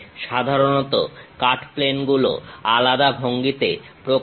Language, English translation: Bengali, Usually cut planes are represented in different styles